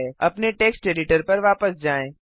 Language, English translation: Hindi, Switch back to the text editor